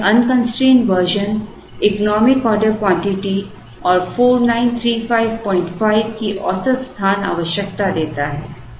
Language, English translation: Hindi, So, the unconstraint version gives us the economic order quantities and average space requirement of 4935